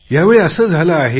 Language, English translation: Marathi, It happened this time